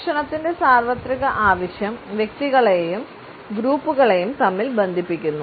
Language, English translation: Malayalam, The universal need for food ties individuals and groups together